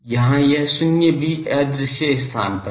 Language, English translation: Hindi, This null here also at invisible space